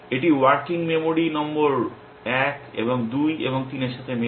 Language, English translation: Bengali, It is matching working memory number 1 and 2 and 3